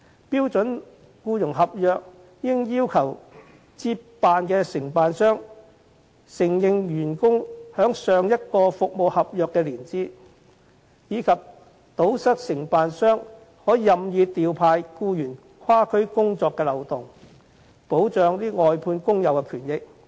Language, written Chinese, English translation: Cantonese, 標準僱傭合約應要求接辦的承辦商，必須承認員工在上一服務合約的年資，以及堵塞承辦商可以任意調派僱員跨區工作的漏洞，以保障外判工友的權益。, The standard employment contract should require the incoming contractor to recognize employees years of service in the previous contract and plug the loophole that enables contractors to make cross - district deployment of their staff at will in order to protect the rights and benefits of the workers